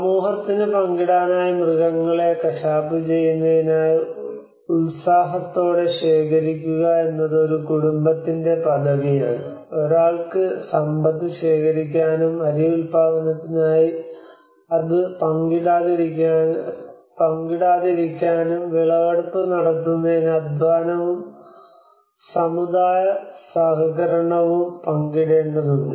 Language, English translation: Malayalam, It is a familyís privilege to work diligently accumulating animals to be butchered for the community to share and one cannot accumulate wealth and not share it for the task of rice production requires the sharing of labour and community cooperation in order to bring in the harvest